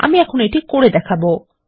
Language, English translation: Bengali, Let me demonstrate this now